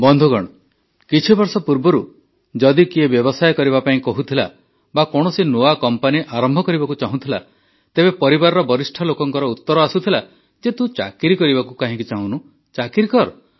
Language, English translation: Odia, a few years back if someone used to say that he wants to do business or wants to start a new company, then, the elders of the family used to answer that "Why don't you want to do a job, have a job bhai